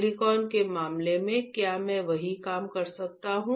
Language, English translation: Hindi, In case of silicon, can I do the same thing